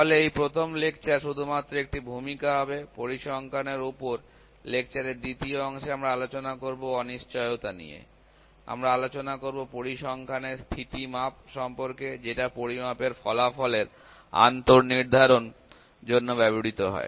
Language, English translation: Bengali, So, this first lecture would be just a introduction, in the second part of lecture, in the second lecture on statistics will discuss about uncertainties, we will discuss about the parameter of the statistics which are used in determining the various in this inter determinancy of measurement result